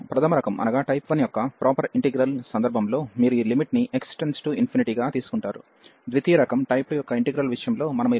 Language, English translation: Telugu, So, in case of the improper integral of type 1 you will take this limit as x approaches to infinity, in case of integral of type 2 we will consider this limit as x approaches to a plus